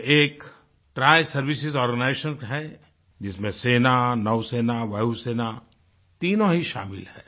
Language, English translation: Hindi, It is a Triservices organization comprising the Army, the Navy and the Air Force